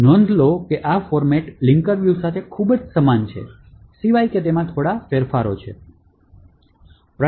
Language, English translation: Gujarati, So, note that this format is very similar to the linker view, except that there are few changes